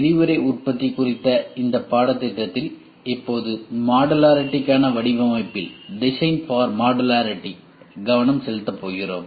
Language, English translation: Tamil, In this course on Rapid Manufacturing we are now going to focus on design for Modularity